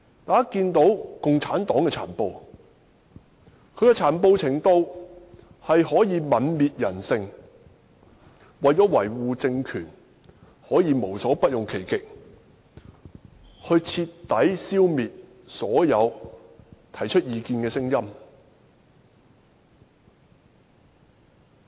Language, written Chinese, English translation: Cantonese, 大家看到共產黨的殘暴，可以泯滅人性，為了維護政權，可以無所不用其極，徹底消滅所有提出異見的聲音。, It can be seen that the brutality of CPC can be devoid of humanity . It is prepared to exhaust all means in order to remain in power and suppress dissenting voices